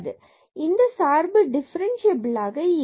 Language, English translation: Tamil, So, the function is not differentiable in this case